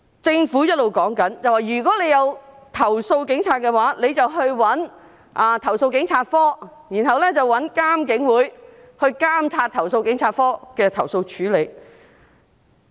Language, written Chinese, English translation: Cantonese, 政府一直表示，如果想投訴警察，可以去投訴警察課，然後找獨立監察警方處理投訴委員會來監察投訴警察課對投訴的處理。, The Government keeps saying that if anyone wishes to complain about the Police he may approach the Complaints Against Police Office CAPO and then ask the Independent Police Complaints Council IPCC to monitor how CAPO handles the complaint